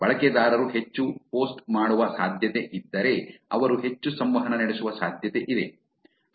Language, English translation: Kannada, If the users are likely to post more; they are likely to interact more also